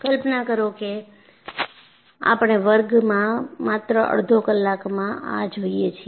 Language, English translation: Gujarati, Imagine we take just half an hour in a class